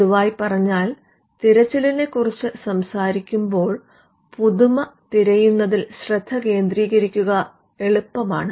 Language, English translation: Malayalam, So, in common parlance when you talk about a search, it is easy for somebody to focus on a search for novelty